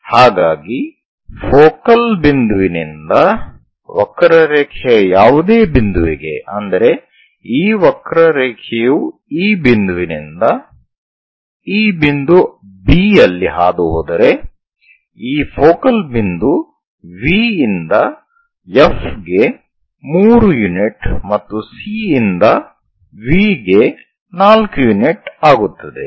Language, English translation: Kannada, So, focal point to any point on the curve, because if this curve pass through this point B somewhere here the focal point V to F will be 3 units and C to V will be 7 unit4 units